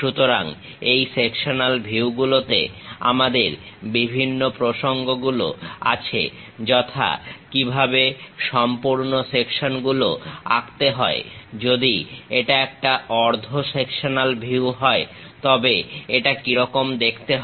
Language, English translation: Bengali, So, in these sectional views, we have different topics namely: how to draw full sections, if it is a half sectional view how it looks like